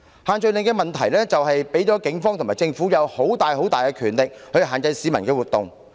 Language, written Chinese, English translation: Cantonese, 限聚令的問題是，它給予警方和政府莫大權力，以限制市民的活動。, The problem with the social gathering restrictions is that they have given the Police and the Government tremendous power to restrict the activities of the citizens